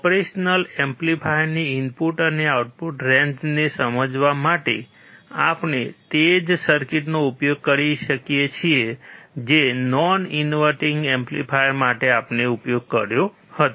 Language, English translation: Gujarati, To understand the input and output range of an operational amplifier, we can use the same circuit which we used for the non inverting amplifier